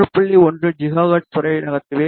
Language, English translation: Tamil, 1 gigahertz, ok